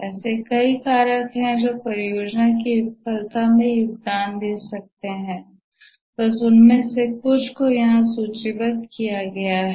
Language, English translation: Hindi, There are many factors which may contribute to a project failure, just listed some of them here